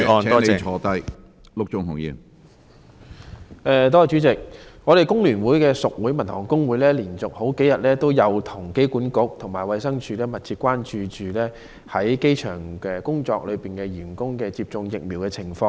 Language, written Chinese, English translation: Cantonese, 工聯會屬會香港民用航空事業職工總會連續數天與機管局和衞生署密切聯繫，關注在機場工作的員工的接種疫苗情況。, The Staffs and Workers Union of Hong Kong Civil Airlines a member union of The Hong Kong Federation of Trade Unions has closely liaised with AA and DH over the past several days . The Union is concerned about the provision of vaccination to people working at the airport